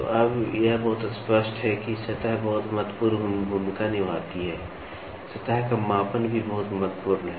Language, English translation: Hindi, So, now, it is very clear that surface plays a very important role, the surface measuring is also very important